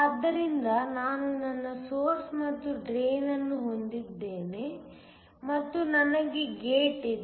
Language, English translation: Kannada, So, I have my source and the drain and I have a gate